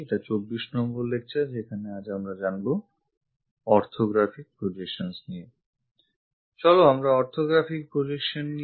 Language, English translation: Bengali, We are in module number 3, lecture number 24 on Orthographic Projections